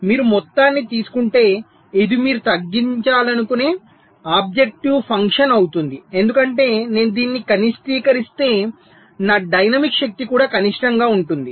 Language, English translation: Telugu, so if you take the sum total, this will be the objective function that you want to minimize, because if i minimize this, my dynamic power will also be minimum